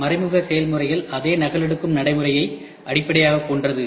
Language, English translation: Tamil, Indirect tooling is based on the same copying procedure as indirect processes